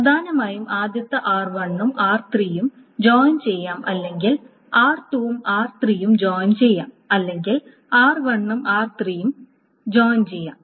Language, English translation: Malayalam, Either it is r1 joined with r2 that is joined with r3 or it is r2 joined with r3 or it is R2 joined with R3 and that is joined with R1